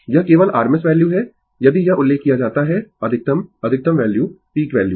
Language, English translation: Hindi, It is rms value only if it is mentioned max ah maximum value ah peak value